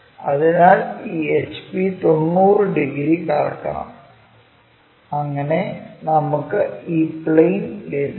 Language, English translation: Malayalam, So, by rotating these HP 90 degrees we bring it to the plane on VP